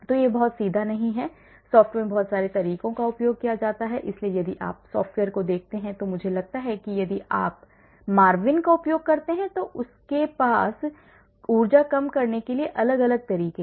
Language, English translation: Hindi, So, it is not very straightforward, so lot of methods are used in the software so if you look at the software I think if you use a Marvin they also have different methods for energy minimization